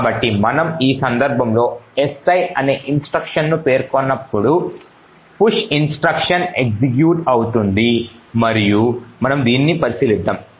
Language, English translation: Telugu, So when we specify si a single instruction in this case the push instruction would get executed and we will actually look at this